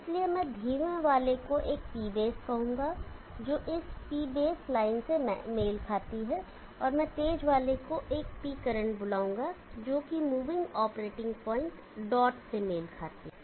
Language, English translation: Hindi, So therefore, I will call the slower one as P base which corresponds to this P base line, and I will call the faster one as P current which corresponds to the moving operating point dot